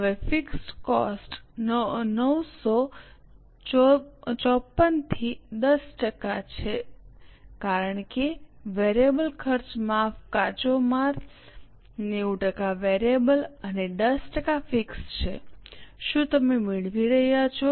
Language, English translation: Gujarati, Now fixed cost, 954 into 10% because variable cost, sorry, raw material is 90% variable and 10% fixed